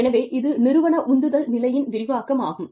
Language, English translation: Tamil, So, that is the enhancement of organizational motivation state